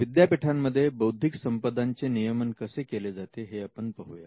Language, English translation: Marathi, Let us look at how IP is managed in Universities